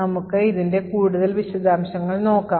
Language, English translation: Malayalam, So, let us look at more details